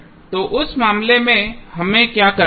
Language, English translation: Hindi, So, what we have to do in that case